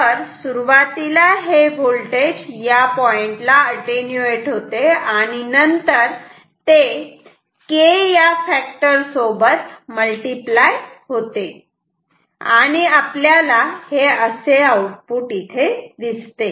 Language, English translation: Marathi, So, the voltage is first getting attenuated at this point and then it is getting multiplied by a factor K and this is the output view